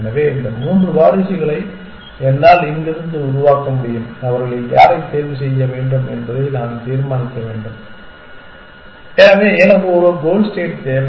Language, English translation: Tamil, So, I have these three successors which i can make from here and I have to decide which one of them to choose so obviously I need a goal state